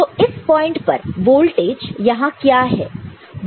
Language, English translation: Hindi, So, at this point what is the voltage here